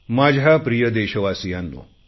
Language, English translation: Marathi, My Dear Fellow Citizens,